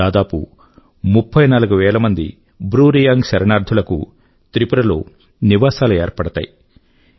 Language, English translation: Telugu, Around 34000 Bru refugees will be rehabilitated in Tripura